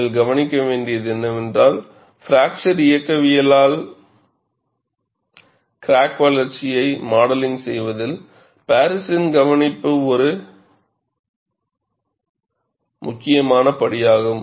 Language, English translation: Tamil, And what you will have to note is, the observation of Paris is an important step in modeling crack growth by fracture mechanics